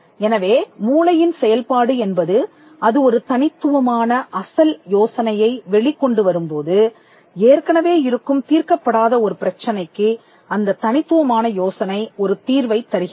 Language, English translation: Tamil, So, the mental process when it comes up with an original idea and the original idea results in an unknown solution to an existing unsolved problem